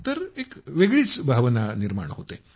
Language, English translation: Marathi, So it's a different feeling